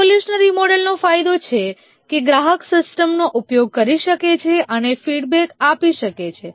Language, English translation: Gujarati, Evolutionary model has the advantage that the customer can use the system and give feedback